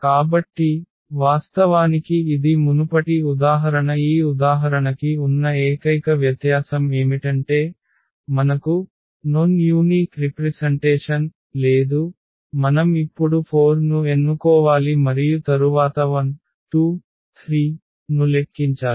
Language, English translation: Telugu, So, indeed this is a spanning set the only difference from the earlier example to this example here is that that we have a non unique representation, that we have to choose now lambda 4 and then compute lambda 1 lambda 2 lambda 3